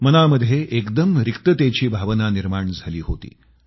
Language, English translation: Marathi, I was undergoing a bout of emptiness